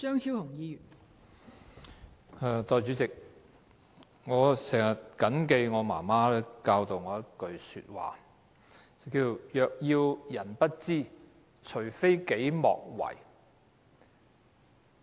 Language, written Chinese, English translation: Cantonese, 代理主席，我經常緊記我媽媽教導我的一句話："若要人不知，除非己莫為"。, Deputy President my mother once told me that if you dont want people to know youd better not do it . I always bear that in mind